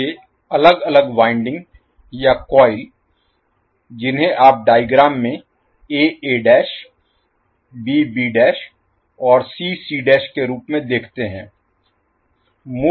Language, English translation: Hindi, Now, these separate winding or coils which you see as a a dash, b b dash, c c dash in the figure